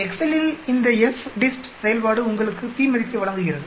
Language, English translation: Tamil, This FDIST function in excel gives you the p value